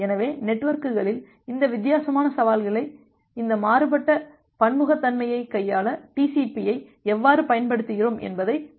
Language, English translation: Tamil, So, let us look that how we use TCP to handle this different heterogeneity this different challenges in the networks